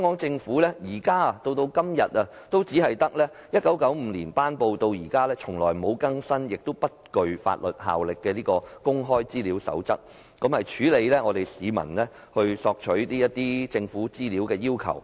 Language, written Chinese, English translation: Cantonese, 政府一直以來只依據1995年頒布、既不曾更新亦不具法律效力的《公開資料守則》，處理市民索取政府資料的要求。, The Government has all along been relying on the Code on Access to Information the Code promulgated in 1995 which has not been updated or has any legal binding effect to handle public requests for government information